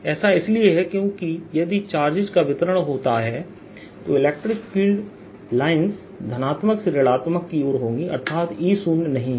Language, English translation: Hindi, it is because if the charges distributed then there will be some electric field line from positive to negative and that means e is not zero